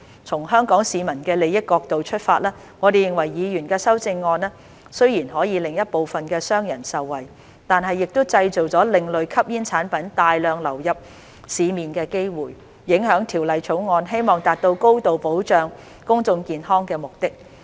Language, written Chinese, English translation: Cantonese, 從香港市民的利益角度出發，我們認為議員的修正案雖然可令一部分的商人受惠，但亦製造另類吸煙產品大量流入市面的機會，影響《條例草案》希望達到高度保障公眾健康的目的。, From the perspective of the interest of Hong Kong people we consider that although the Members amendments can benefit some businessmen they will create opportunities for large quantities of ASPs to enter the market thus undermining the high level of protection to public health as intended by the Bill